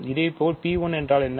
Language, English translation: Tamil, Similarly, what is P 1